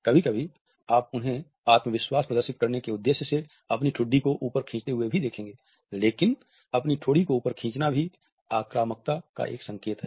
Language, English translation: Hindi, Sometimes, you will even see them pull their chin up to display confidence, but pulling your chin up is also a cue for aggression